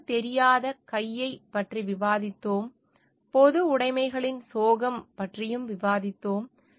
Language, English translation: Tamil, We have discussed about the invisible hand, we have also discussed about the tragedy of commons